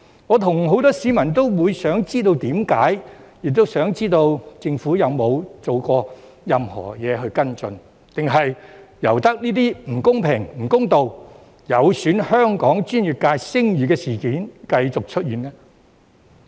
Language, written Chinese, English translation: Cantonese, 我和很多市民也想知道原因，亦想知道政府有否做過任何行動跟進，還是任由這些不公平、不公道、有損香港專業界聲譽的事件繼續出現呢？, Many members of the public and I want to know the reason and wonder if the Government has ever taken any follow - up action or simply allows these unfair and unjust incidents that tarnish the reputation of Hong Kongs professional sectors to continue to happen